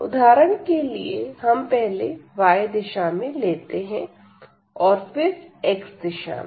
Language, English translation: Hindi, So, we will take now for example, in the direction of y first and then in the direction of x